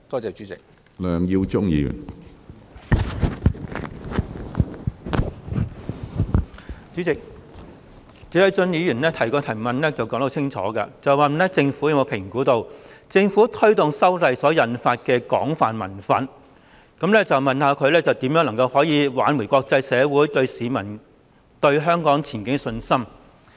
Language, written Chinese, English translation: Cantonese, 主席，謝偉俊議員的主體質詢很清楚，他問政府有否評估政府推動修例所引發的廣泛民憤，以及有何措施挽回國際社會及市民對香港前景的信心？, President Mr Paul TSEs main question is clear . He asked whether the Government had assessed the widespread anger among the people which had been triggered by the Governments proposed legislative amendments and what measures it had in place to restore the confidence of the international community and members of the public in Hong Kongs future